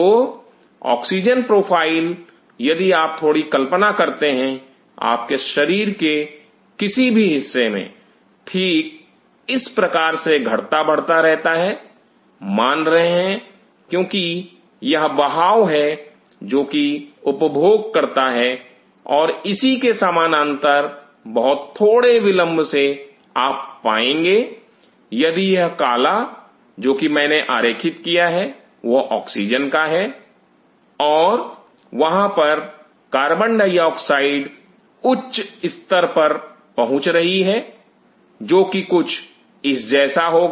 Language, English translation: Hindi, So, the oxygen profile if you just try to imagine in any part of your body is kind of fluctuating in a manner like this, realizing because this is the flow which consumes and parallelly with a small delay you will see if this black what I drew is of oxygen and there will be a carbon dioxide peaking which will be something like this